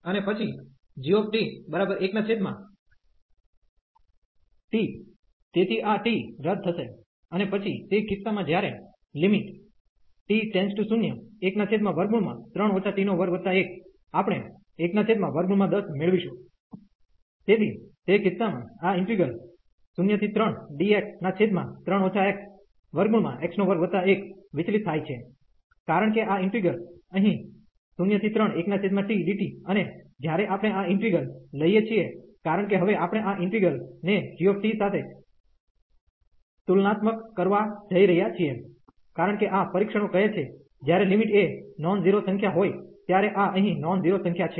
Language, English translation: Gujarati, And then g t will be again 1 1 over t, so this t will get cancelled, and then in that case when t approaches to 0, we will get 1 over a square root 10, so that case this integral 0 to 3 dx over 3 minus x square root x square plus 1 this diverges, because this integral here 1 over t, when we take this integral, because we are going to now compare with this integral g t, because this tests says when limit is a non zero number, this is a non zero number here